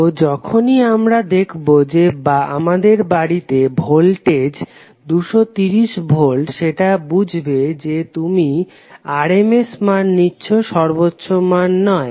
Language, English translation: Bengali, So whenever we say that the voltage in our house is 230 volts it implies that you are talking about the rms value not the peak value